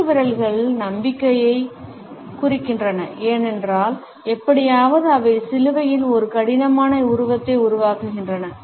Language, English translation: Tamil, Crossed fingers indicate hope, because somehow they form a rough image of the crucifix